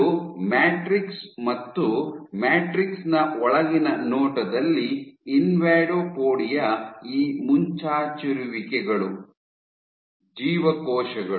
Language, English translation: Kannada, So, if you have matrix, so inside view if you have matrix invadopodia were these protrusions, your cells